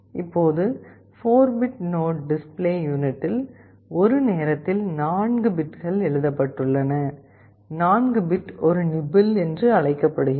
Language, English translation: Tamil, Now, I told you in the 4 bit node data are written into the display device 4 bits at a time, 4 bit is called a nibble